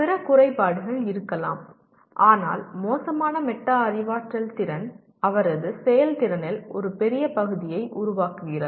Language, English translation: Tamil, There could be other deficiencies but poor metacognitive skill forms an important big part of his performance